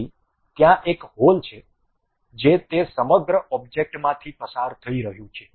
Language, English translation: Gujarati, So, there is a hole which is passing through that entire object